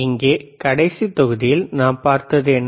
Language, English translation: Tamil, Here in the last module what we have seen